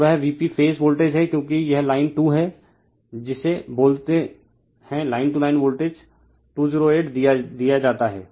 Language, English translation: Hindi, So, that is your V P phase voltage because it is line 2 , is your what you call that, your line to Line voltage is given, 208